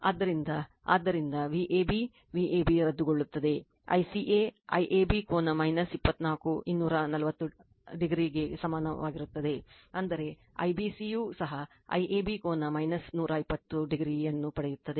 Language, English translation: Kannada, So, so V ab V ab will be cancelled therefore, I CA will be equal to I AB angle minus 24 240 degree; that means, also IBC similarly you will get I AB angle minus 120 degree